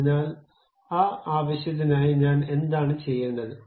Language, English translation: Malayalam, So, for that purpose, what I have to do